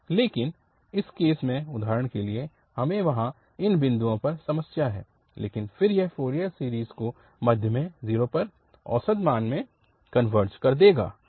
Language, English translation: Hindi, But in this case, for example, we have the problem at these points there but then it will converge the Fourier series to the middle one, so to the 0, to the average value